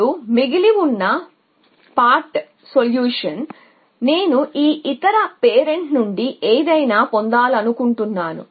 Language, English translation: Telugu, Now, remaining the part solution I really would like to get something from the other parents